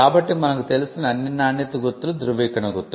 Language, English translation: Telugu, So, all the quality marks that we know are certification mark